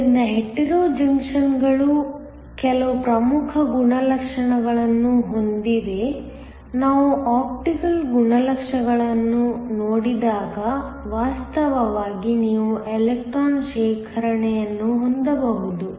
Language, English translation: Kannada, So, Hetero junctions have some important properties, when we look at optical properties because of the fact that you can have electron accumulation